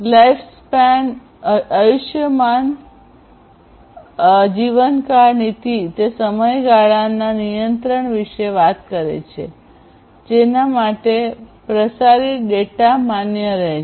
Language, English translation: Gujarati, Lifespan policy talks about the control over the duration for which the transmitted data will remain valid